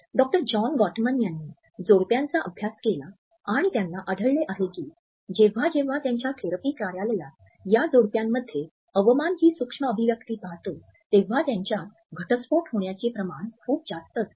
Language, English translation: Marathi, Doctor John Gottman studied couples and he has found that when he sees the contempt micro expression in his therapy office there is a very high rate of divorce